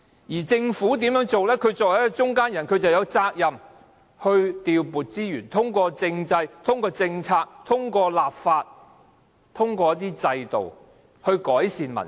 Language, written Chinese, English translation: Cantonese, 它作為一個中間人，有責任調撥資源，通過政制、政策、立法和制度來改善民生。, As the modulator the Government is duty - bound to allocate resources for improving the peoples livelihood through the political system various policies the enactment of legislation and different institutions